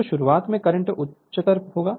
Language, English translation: Hindi, So, at start current will be higher right